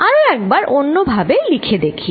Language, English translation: Bengali, Let me write it again